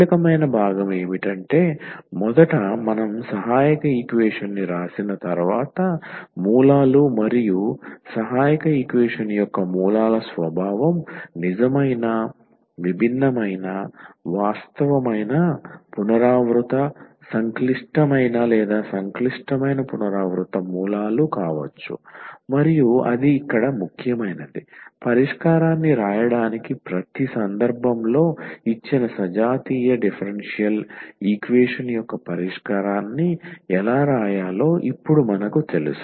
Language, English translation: Telugu, So, the crucial part was that first we write down the auxiliary equation and find it is roots and the nature of the roots of the auxiliary equation it may be real, distinct, real repeated, complex or complex repeated roots and that is a important here for writing the solution and in each case we know now how to write the solution of the given homogeneous differential equation